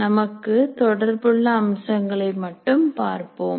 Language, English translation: Tamil, We'll only look at some features relevant to us